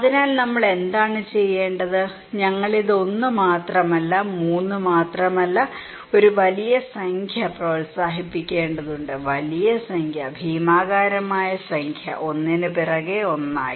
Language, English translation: Malayalam, So, what we should do; we need to promote this one not only 1, not only 3 but a huge number; enormous number okay, gigantic, one after one other